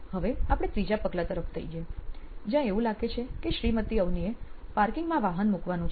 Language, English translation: Gujarati, Then we go onto the third step which is now Mrs Avni looks like she has to park the bike in the parking spot